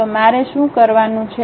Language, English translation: Gujarati, So, what I have to do